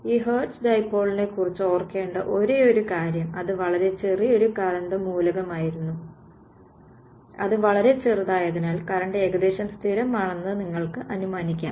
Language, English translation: Malayalam, The only sort of a thing to remember about this hertz dipole it was a very very small current element and because it is very small, you can assume current is approximately constant thing right